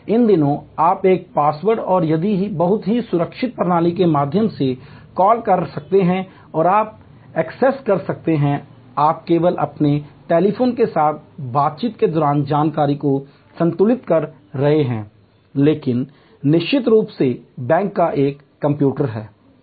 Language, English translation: Hindi, These days you can just call and through a very secure system of passwords and etc and you can access, you are balance information just interacting with your telephone, but at the back end of course, there is a computer of the bank